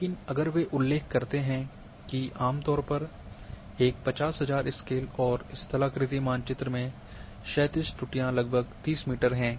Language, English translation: Hindi, But if they mention that a generally in a 50,000 scaled and topographic maps the horizontal errors are somewhere around 30 metre